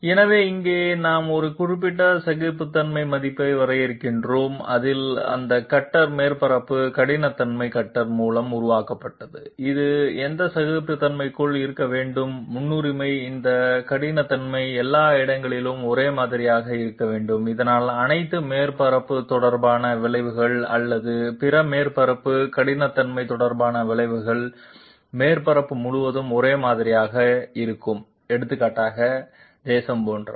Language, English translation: Tamil, Therefore, here also we define a particular tolerance value within which this cutter surface roughness I mean cutter surface roughness is created by the cutter, this has to be within that tolerance and preferably this roughness should be the same everywhere so that all surface related effects or other surface roughness related effects will be uniform all over the surface like say for example, turbulence, et cetera